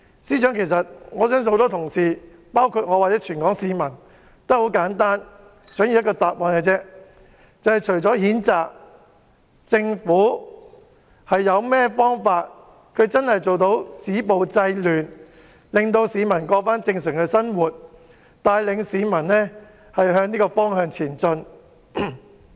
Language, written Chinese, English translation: Cantonese, 司長，我相信很多同事，包括全港市民，只簡單地想要一個答覆，就是政府除了譴責外，究竟還有甚麼方法止暴制亂，讓市民重過正常生活，帶領市民向這個方向前進。, Chief Secretary I believe many Honourable colleagues and all the people of Hong Kong simply wish to get an answer to one question that is apart from condemnation actually what methods the Government has to stop violence and curb disorder allowing members of the public to resume their normal life and lead them to move forward in this direction